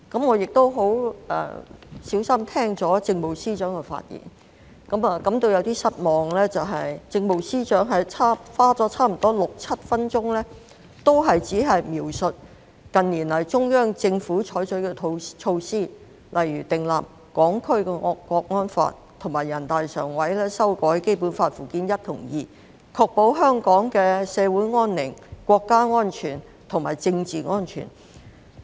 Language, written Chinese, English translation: Cantonese, 我亦細心聆聽政務司司長發言，感到有點失望的是，政務司司長花了差不多六七分鐘時間，都只是描述近年來中央採取的措施，例如訂立《香港國安法》及全國人民代表大會常務委員會修改《基本法》附件一及附件二，確保香港社會安寧、國家安全和政治安全。, I have also listened carefully to the speech of the Chief Secretary for Administration . It is a little disappointing that the Chief Secretary for Administration has spent nearly six to seven minutes on the mere description of the measures adopted by the Central Authorities in recent years such as the enactment of the Law of the Peoples Republic of China on Safeguarding National Security in the Hong Kong Special Administrative Region and the amendment to Annex I and Annex II of the Basic Law by the Standing Committee of the National Peoples Congress to ensure social peace and order national security and political security in Hong Kong